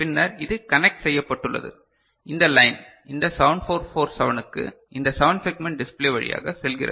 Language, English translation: Tamil, And then it is connected to this line goes to this 7447 and through that to 7 segment display decoder